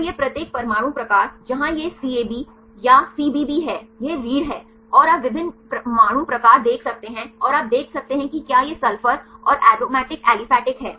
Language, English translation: Hindi, So, this each atom type where this is CAB or CBB this is the backbone, and you can see the different atom types and you can see whether this sulfur and the aromatic aliphatic